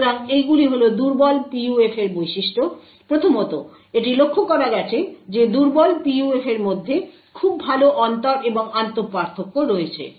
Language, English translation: Bengali, So, these are the properties of weak PUFs, 1st of all it has been noticed that weak PUFs have very good inter and intra differences